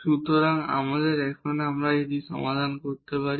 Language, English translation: Bengali, So, now, we can solve this